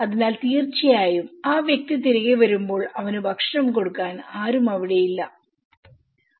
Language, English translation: Malayalam, So obviously, when the person comes back he will not say that no one is there with him you know, to give him food